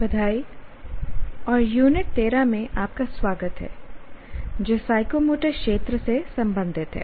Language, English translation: Hindi, Greetings and welcome to Unit 13 related to Psychomotor Domain